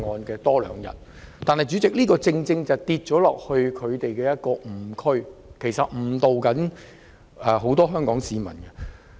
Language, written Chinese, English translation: Cantonese, 然而，主席，這樣我們便會跌進一個誤區，他們誤導了很多香港市民。, However Chairman if we comply we will fall into a fallacy by which they have misled many people in Hong Kong